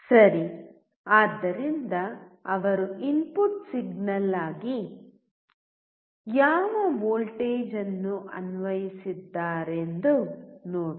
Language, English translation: Kannada, Ok, so let us see what voltage has he applied as an input signal